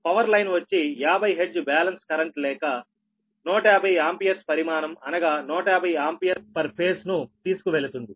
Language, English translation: Telugu, the power line carries a fifty hertz balance, current or one hundred fifty amperes, magnitude, one hundred fifty ampere per phase